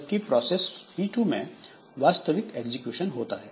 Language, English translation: Hindi, Whereas at processor P2 it will do the actual execution